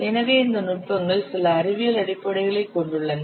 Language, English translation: Tamil, So, these techniques, they have certain scientific basis